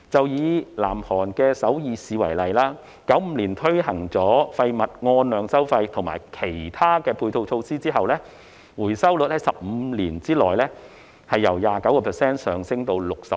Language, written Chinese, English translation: Cantonese, 以南韓首爾市為例 ，1995 年推行廢物按量收費及其他的配套措施後，回收率在15年內由 29% 上升至 66%。, Take Seoul in South Korea as an example the recycling rate rose from 29 % to 66 % in 15 years after quantity - based waste charging and other complementary measures were introduced in 1995